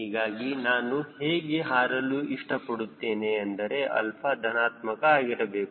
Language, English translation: Kannada, so i will prefer to fly such that alpha is positive